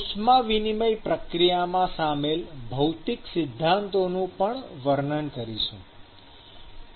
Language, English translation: Gujarati, The physical principles involved in the heat transfer process will actually be described